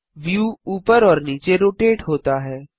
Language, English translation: Hindi, The view rotates upwards